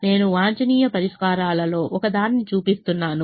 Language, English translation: Telugu, i am just showing one of the optimum solutions